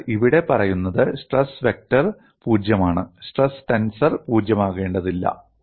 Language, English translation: Malayalam, So, what is said here is stress vector is necessarily 0; stress tensor need not be 0; that is what is mentioned here